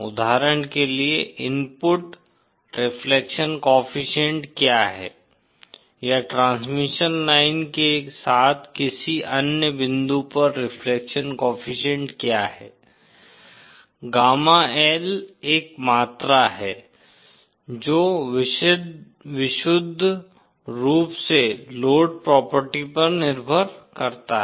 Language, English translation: Hindi, For example, what is the input reflection coefficient or what is the reflection coefficient at any other point along the transmission line, gamma L is a quantity that depends purely on the load property